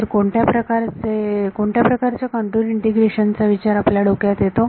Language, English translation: Marathi, So, what kind what kind of integration contour do you think of